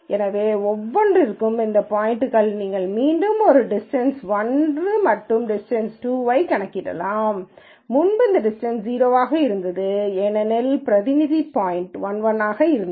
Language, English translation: Tamil, So, for each of these points you can again calculate a distance 1 and distance 2, and notice previously this distance was 0 because the representative point was 1 1